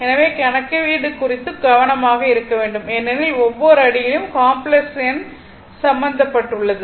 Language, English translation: Tamil, So, we have to be careful about the calculation because complex number is involved in every step